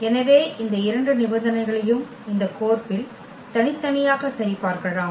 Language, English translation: Tamil, So, we can check those 2 conditions separately on this map